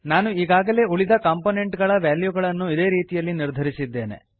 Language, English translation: Kannada, I have already assigned values to other components in the similar way